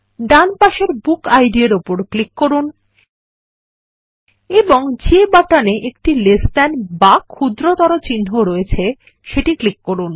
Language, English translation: Bengali, Click on BookId on the right hand side and click on the button that has one Less than symbol